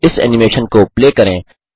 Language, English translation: Hindi, Play this animation